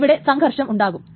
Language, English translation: Malayalam, So there is a conflict here